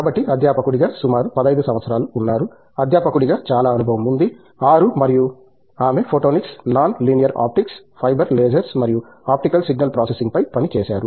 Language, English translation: Telugu, So, about 15 years as a faculty, that’s a lot of experience as a faculty and she has worked on Photonics, Non linear optics, Fiber lasers and Optical Signal processing